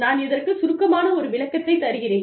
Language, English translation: Tamil, I will just give you a brief snapshot